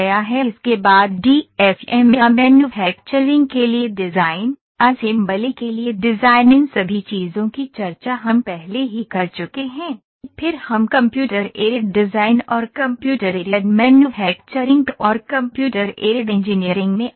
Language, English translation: Hindi, After this the DFM or design for manufacturing, design for assembly all these things we have already discussed in the previous lectures then we come to the Computer Aided Design and Computer Aided Manufacturing and Computer Aided Engineering